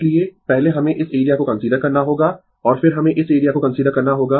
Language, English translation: Hindi, So, first we have to consider this area and then we have to consider this area